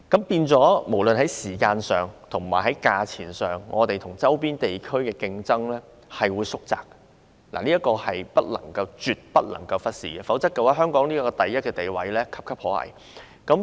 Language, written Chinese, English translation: Cantonese, 因此，無論是在時間上或價錢上，香港跟周邊地區的競爭力差距將會縮窄，這一點是絕對不能忽視的，否則香港位列第一名的地位便岌岌可危。, Hence in terms of time and price the gap between the competitive edges of Hong Kong and the adjacent areas will be closed . This should definitely not be overlooked; otherwise Hong Kongs topmost position will be in jeopardy